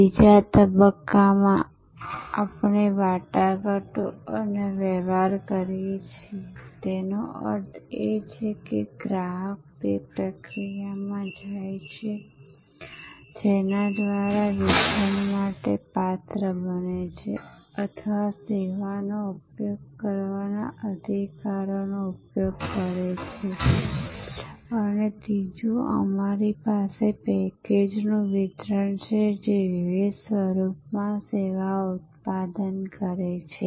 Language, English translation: Gujarati, In the second stage we do negotiation and transaction; that means, where the customer goes to the process by which becomes eligible for delivery or use the right to use the service and thirdly we have the delivery of the package itself, the service product in various form